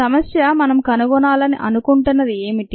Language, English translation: Telugu, what does the problem want us to find